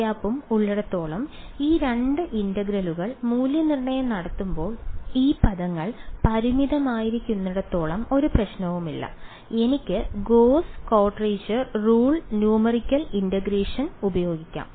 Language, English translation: Malayalam, Now, when we are evaluating these two integrals over here as long as g and grad g dot n hat as long as these terms are finite there is no problem I can use gauss quadrature rule numerical integration